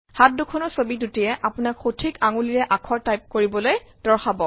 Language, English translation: Assamese, The two hand images will guide you to use the right finger to type the character